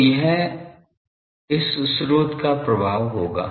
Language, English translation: Hindi, So, that will be the effect of this source